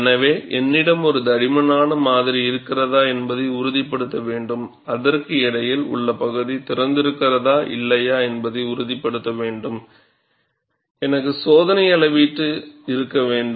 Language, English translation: Tamil, So, you have to ensure that, if I have a thick specimen, the in between portion whether it has opened or not, I have to have experimental measurement